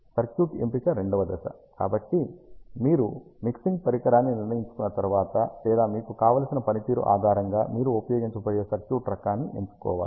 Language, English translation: Telugu, Choice of circuit is a second step, so once you decide the mixing device then you have to choose or ah the type of circuit that you are going to use based on what performance you want